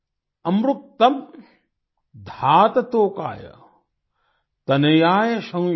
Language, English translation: Hindi, amritkam dhaat tokay tanayaaya shyamyo |